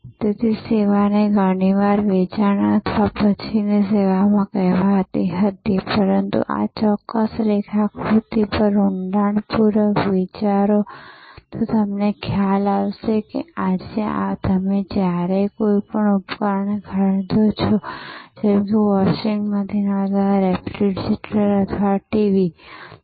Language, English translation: Gujarati, So, service was often called after sales service, but think deeply over this particular diagram, and you realise that today, when you buy an appliance say washing machine or a refrigerator or a TV